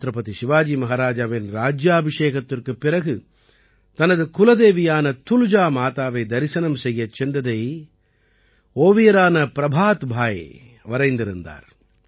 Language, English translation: Tamil, Artist Prabhat Bhai had depicted that Chhatrapati Shivaji Maharaj was going to visit his Kuldevi 'Tulja Mata' after the coronation, and what the atmosphere there at that time was